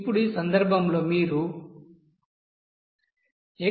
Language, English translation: Telugu, Now this x2 value of 0